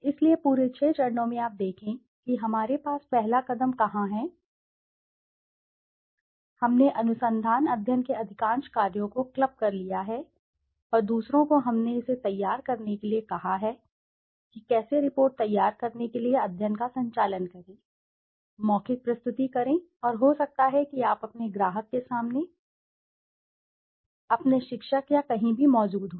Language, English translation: Hindi, So in the entire six steps you see where we have in the first step we have clubbed most of the work of the research study and the others we have asked to conduct this how to conduct the study to prepare the report, to make the oral presentation and maybe you know present yourself in front of your client, maybe your teacher or anywhere